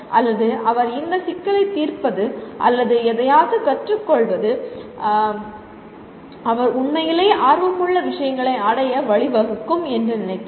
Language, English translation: Tamil, Or he thinks that solving this problem or learning something will lead to achievement of things that he is truly interested